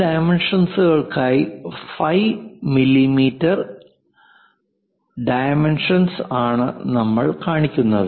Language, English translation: Malayalam, For that dimensions we have to show, it is phi is 6 millimeters of dimension